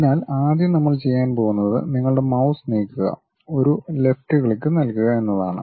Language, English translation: Malayalam, So, the first one what we are going to do is move your mouse give a left click